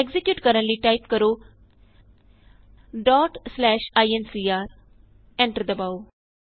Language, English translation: Punjabi, To execute Type ./ incr.Press Enter